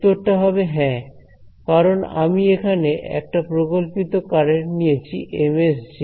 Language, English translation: Bengali, Answer is going to be yes because I have put this hypothetical current over here Ms Js ok